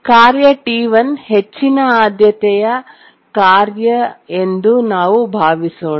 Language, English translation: Kannada, Let's assume that task T1 is a high priority task